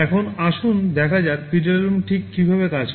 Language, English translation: Bengali, Now, let us see how exactly PWM works